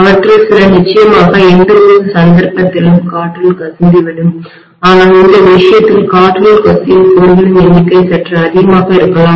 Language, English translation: Tamil, Some of them will definitely leak into the air in either case but the number of lines leaking into air in this case maybe slightly higher